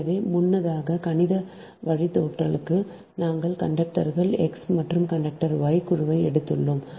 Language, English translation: Tamil, so earlier for the mathematical derivations we have taken group of conductors x and group of conductor y